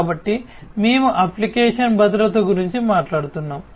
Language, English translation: Telugu, So, we are talking about application security